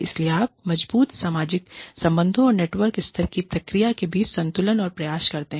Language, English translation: Hindi, So, you try and balance between, the strong social relationships, and the network level process